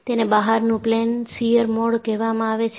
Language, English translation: Gujarati, It is called as Out of plane shear mode